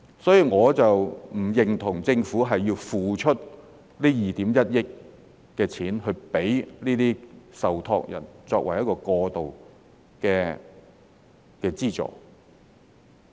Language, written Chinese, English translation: Cantonese, 所以，我並不認同政府要付出這2億 1,000 萬元款項給這些受託人作為過渡的資助。, I thus do not agree that the Government should pay this 210 million to these trustees to subsidize their transition